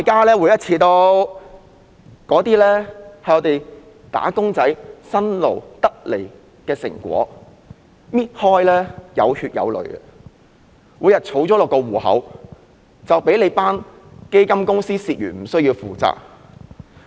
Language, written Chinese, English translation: Cantonese, 那些是"打工仔"辛勞換取的成果，每一分錢均有血有淚，但在撥入戶口後卻被基金公司蝕去而無須負責。, We are now talking about the fruits of hard work of wage earners who are earning every penny with their blood and tears but after the money was deposited into their MPF accounts fund companies would not be held accountable for resultant losses